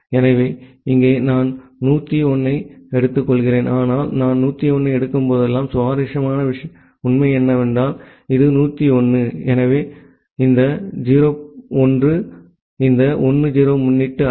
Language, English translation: Tamil, So, here I am taking 1 0 1, but whenever I am taking 1 0 1 the interesting fact is that this 1 0 1, so this 0 1 is not a prefix of this 1 0 1